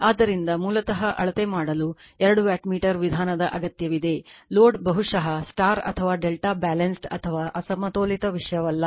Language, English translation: Kannada, So, basically you need two wattmeter method for measuring the, load maybe star or delta Balanced or , Unbalanced does not matter